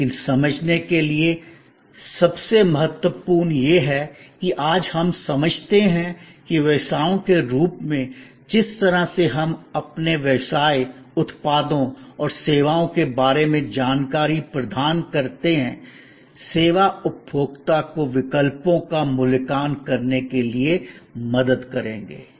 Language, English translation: Hindi, But, most important to understand is that, today we understand that as businesses, the way we provide information about our business, products and services, the way we will help, the service consumer to evaluate alternatives